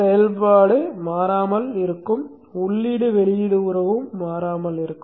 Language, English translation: Tamil, The input output relationship also remains the same